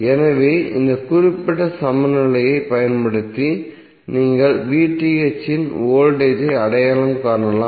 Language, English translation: Tamil, So using this particular equilency you can identify the voltage of VTh how